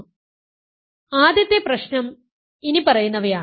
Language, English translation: Malayalam, So, the first problem is the following